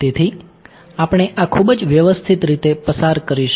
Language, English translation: Gujarati, So, we will go through this very systematically